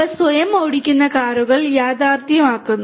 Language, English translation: Malayalam, They make these the self driving cars a reality